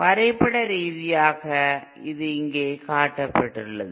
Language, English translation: Tamil, Graphically this is shown here